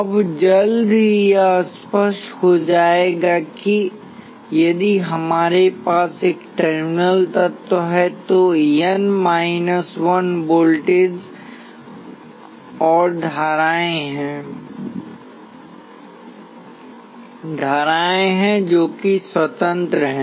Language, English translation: Hindi, Now soon it will become clear that if we have N terminal element there are N minus 1 independent voltages and currents